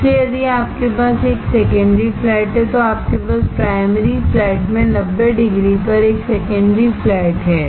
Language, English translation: Hindi, So, if you have a secondary flat, you have a secondary flat at 90 degree to the primary flat